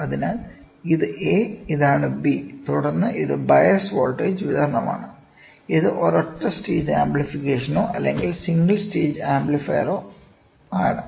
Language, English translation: Malayalam, So, this is A, this is B and then this is the bias voltage supply and this is for a single stage amplification or a single stage amplifier